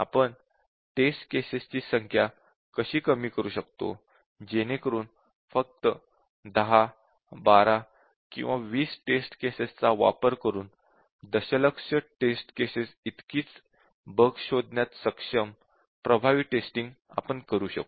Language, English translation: Marathi, So, how do we reduce the number of test cases so that we can do effective testing using 10, 12 or 20 test cases and still we able to recover, able to detect almost as much bugs as the million test cases